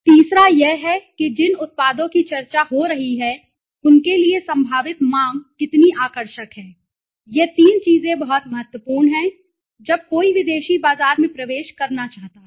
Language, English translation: Hindi, The third is how attractive is the potential demand for the products which are being discussed so these three things are very important to when somebody wants to enter in the foreign market right